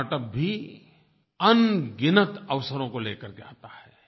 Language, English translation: Hindi, Startup also brings innumerable opportunities